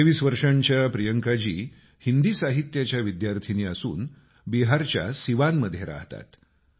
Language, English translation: Marathi, 23 year old Beti Priyanka ji is a student of Hindi literature and resides at Siwan in Bihar